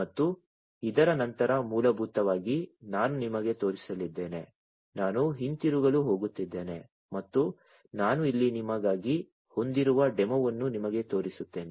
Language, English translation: Kannada, And after this basically I am going to show you I am going to switch back and show you the actual setup the demo, that I have for you over here